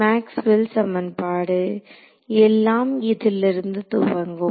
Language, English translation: Tamil, Maxwell's equations everything starts from Maxwell’s equation right